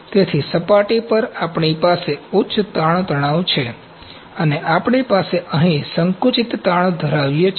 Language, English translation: Gujarati, So, at surface, we have high tensile stresses and we have compressive stresses here